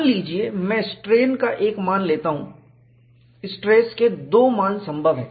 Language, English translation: Hindi, Suppose, I take a strain value, two stress values are possible